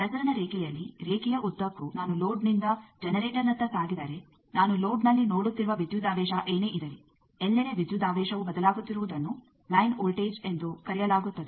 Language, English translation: Kannada, You know that in a transmission line if I move along the line from the load towards generator then, the whatever the voltage I am seeing at load then everywhere the voltage is changing that is called line voltage